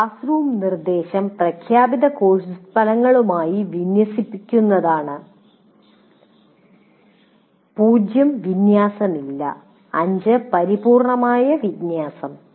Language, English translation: Malayalam, So the classroom instruction is in alignment with the stated course outcomes, not alignment at all, zero, complete alignment is five